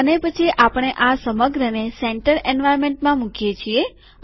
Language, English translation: Gujarati, And then we put the whole thing in the center environment